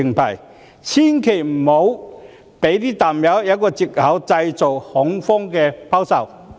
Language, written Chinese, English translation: Cantonese, 政府千萬不要讓"淡友"有藉口製造恐慌性拋售。, The Government should certainly not give the bears any excuse to initiate panic selling